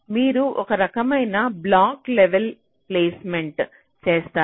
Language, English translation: Telugu, so you do some kind of block level placement